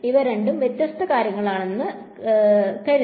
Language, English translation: Malayalam, These were thought to be two different things right